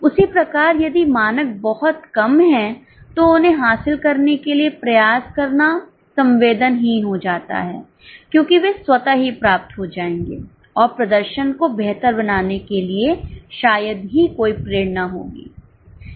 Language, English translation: Hindi, At the same time, if standards are too low, it becomes senseless to put effort to achieve them because they would automatically be achieved and hardly there will be any motivation to improve the performance